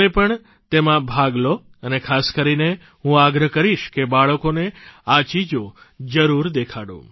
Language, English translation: Gujarati, You should participate in this initiative and especially I urge you to make you children witness these campaigns